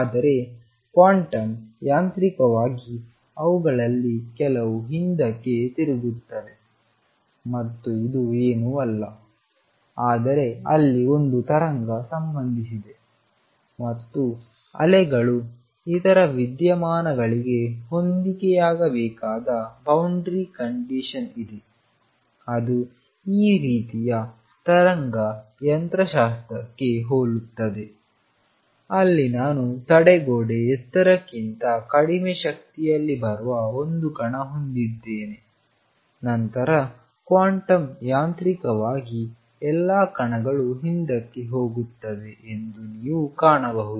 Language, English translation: Kannada, But quantum mechanically some of them would turned back and this is nothing, but because there is a wave associated and there is a boundary condition where waves have to match the other phenomena which is similar to this kind of wave mechanics is where suppose, I have a particle coming at energy lower than the barrier height, then you will find that even quantum mechanically all the particles go back none the less